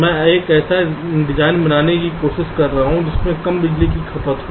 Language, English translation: Hindi, i am trying to create a design that is expected to consume less power